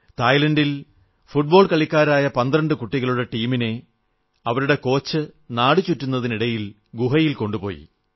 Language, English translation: Malayalam, V… in Thailand a team of 12 teenaged football players and their coach went on an excursion to a cave